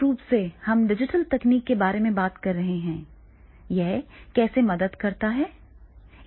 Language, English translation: Hindi, So, this is basically we are talking about the digital technology, how does it help